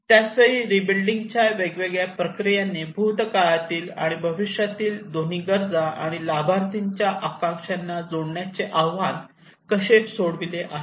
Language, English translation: Marathi, At the same time how different rebuilding processes have addressed the challenges to connect both past and future needs and aspirations of the beneficiaries